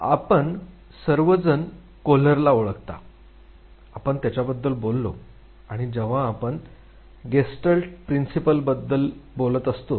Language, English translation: Marathi, You all know Kohler, we talked about him and when we are talking about Gestalt Principles